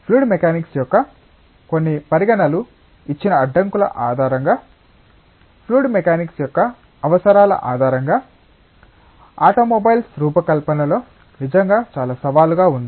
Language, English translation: Telugu, And really there is a whole lot of challenge in designing automobiles based on the requirements of fluid mechanics, based on the constraints given by some considerations of fluid mechanics